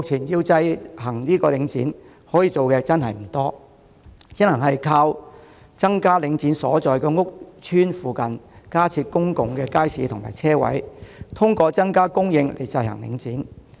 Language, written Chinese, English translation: Cantonese, 由此可見，目前可以制衡領展的方法不多，只能靠在領展所在屋邨附近加設公共街市和車位，透過增加供應制衡領展。, It is thus evident that with the means of curbing Link REIT sorely limited the company can only be checked by way of an increase in supply―adding more public markets and parking spaces in the vicinity of the housing estates under Link REIT